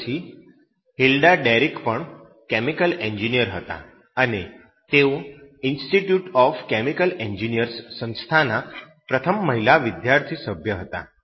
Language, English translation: Gujarati, ” After that this Hilda Derrick was also a chemical engineer and she was the first female student member of the Institute of Chemical Engineers